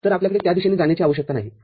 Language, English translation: Marathi, So, you do not need to go in that direction